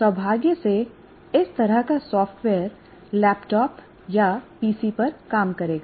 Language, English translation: Hindi, Unfortunately, this kind of software will work on a laptop or a PC